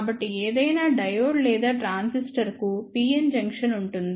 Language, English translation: Telugu, So, any diode or transistor would have a pn junction